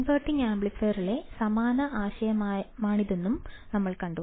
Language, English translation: Malayalam, We have also seen that this is exactly the similar concept in the inverting amplifier